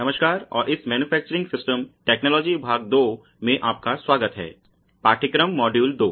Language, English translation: Hindi, Hello and welcome to this Manufacturing Systems Technology Part 2, course module two